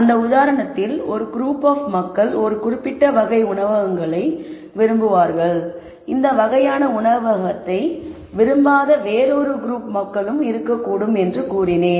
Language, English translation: Tamil, So, if you remember that example I said there are a group of people who might like certain type of restaurant there might be a group of people who do not like that kind of restaurant and so on